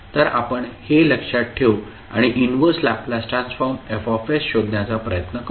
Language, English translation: Marathi, So, we will keep this in mind and try to solve the, try to find out the inverse Laplace transform, Fs